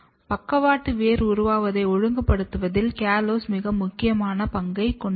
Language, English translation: Tamil, This together suggests that callose is playing very, very important role in regulating lateral root formation